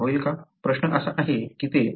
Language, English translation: Marathi, The question is it could